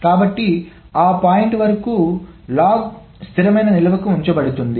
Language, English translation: Telugu, So, the log up to that point is being put to the stable storage